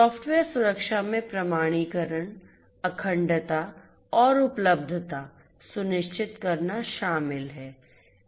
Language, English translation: Hindi, Software security involves ensuring authentication, integrity and availability